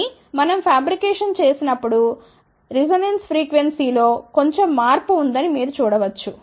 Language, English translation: Telugu, So, you can see that there is a little bit of a shift in the resonance frequency